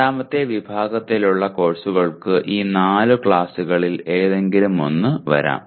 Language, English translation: Malayalam, The second category of courses can come under any of these four classes